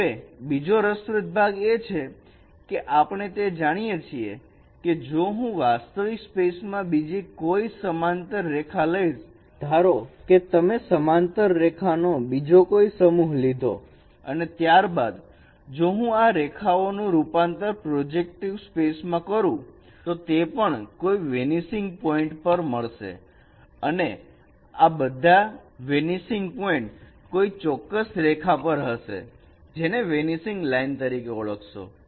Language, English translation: Gujarati, Now another interesting part is that we know that if I take any other parallel line in the original space, any other set of parallel line in the original space, suppose you take another set of parallel lines in the original space and then if I transform these lines in the projective space they will also meet at some vanishing point and all these vanishing points they lie on a particular line which is called vanishing line so how do you get this vanishing line also in the transform space